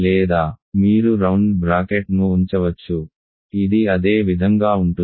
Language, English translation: Telugu, So, or you can put round bracket this happen to be the same